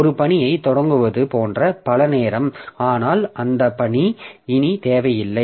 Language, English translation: Tamil, Many a time like we start a task but that task is no more required